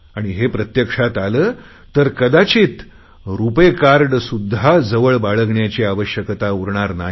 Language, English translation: Marathi, If this happens, perhaps you may not even need to carry a RuPay card with you